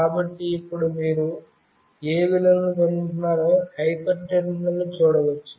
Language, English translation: Telugu, So, now you can see in the hyper terminal what values you are getting